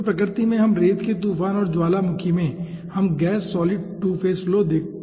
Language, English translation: Hindi, in sand storm and volcano we can see gas solid 2 phase flow